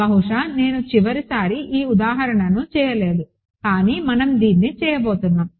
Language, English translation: Telugu, So, perhaps I did not do this example last time, but we are going to do this